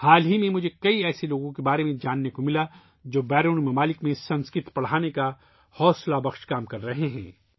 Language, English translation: Urdu, Recently, I got to know about many such people who are engaged in the inspirational work of teaching Sanskrit in foreign lands